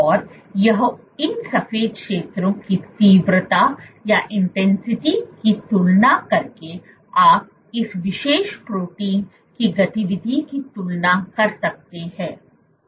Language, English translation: Hindi, And this by comparing the intensity of these white zones you can compare the activity of this particular protein